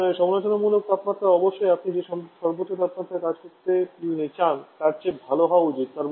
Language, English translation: Bengali, Now the critical temperature of course should be well above the maximum temperature at which you would like to work